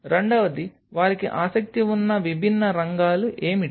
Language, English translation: Telugu, Second what are their different areas of interest